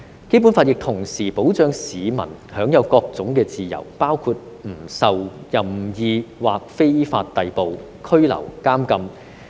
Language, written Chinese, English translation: Cantonese, 《基本法》亦同時保障市民享有各種自由，包括"不受任意或非法逮捕、拘留、監禁。, At the same time the Basic Law protects the various freedoms enjoyed by members of the public including that [none of them] shall be subjected to arbitrary or unlawful arrest detention or imprisonment